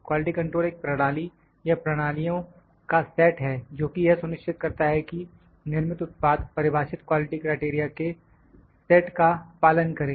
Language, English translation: Hindi, Quality control is a procedure or set of procedures which are intended to ensure that a manufactured product adheres to a defined set of quality criteria